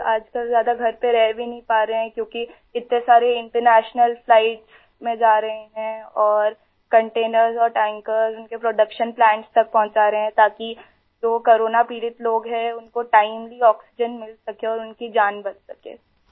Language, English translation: Urdu, Now a days he is not able to stay home much as he is going on so many international flights and delivering containers and tankers to production plants so that the people suffering from corona can get oxygen timely and their lives can be saved